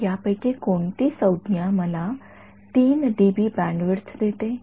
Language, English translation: Marathi, So, which of these terms is giving me the sort of 3 dB bandwidth